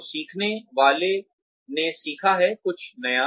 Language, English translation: Hindi, So, the learner has learnt, something new